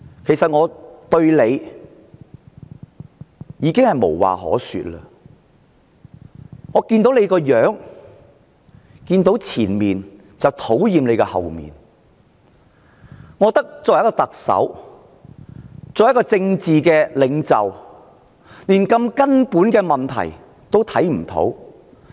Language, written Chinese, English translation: Cantonese, 其實，我對"林鄭"已經無話可說，我看見她的正面，便討厭她的背面，因為她作為特首、作為政治領袖，連這麼根本的問題也看不到。, Actually I have nothing more to say to Carrie LAM . I saw her front and loathed her back . As the Chief Executive and as a political leader she cannot even perceive this fundamental problem